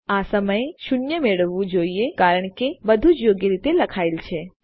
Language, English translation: Gujarati, We should get zero at the moment because everything is written correctly